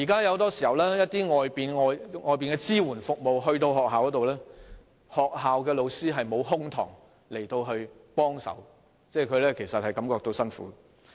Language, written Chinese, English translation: Cantonese, 現時，外界團體進入學校提供支援服務時，學校老師往往沒有空檔可以給予協助，這些團體其實也感到吃力。, Now very often when an external organization provides supporting services in a school the teachers in the school do not have any spare time to offer assistance . As a matter of fact these organizations also find the task demanding